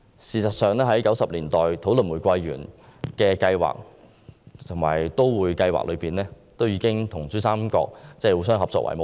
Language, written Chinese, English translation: Cantonese, 事實上 ，1990 年代的玫瑰園計劃和都會計劃，已經以跟珠三角互相合作為目標。, As a matter of fact the rose garden project and the Metroplan launched in the 1990s already aimed at cooperating with PRD